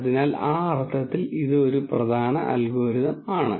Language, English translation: Malayalam, So, it is an important algorithm in that sense